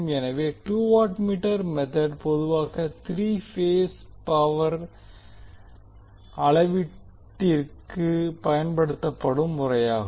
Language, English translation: Tamil, So the two watt meter method is most commonly used method for three phase power measurement